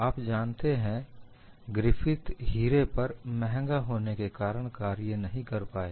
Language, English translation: Hindi, Griffith could not have worked on diamond because it is so expensive